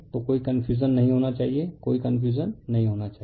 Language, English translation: Hindi, So, there is there is that should not be any any any confusion any confusion, right